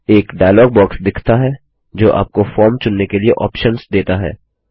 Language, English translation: Hindi, A dialog box appears on the screen giving you options to select from